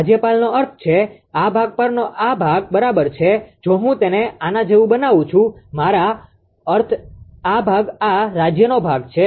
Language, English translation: Gujarati, Governor means on this portion this portion right ah this portion if I make it like this I mean this portion this portion is the governor part this portion right